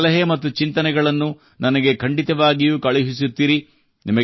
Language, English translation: Kannada, Do keep sending your suggestions and ideas